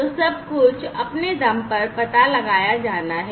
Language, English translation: Hindi, So, everything has to be detected on their own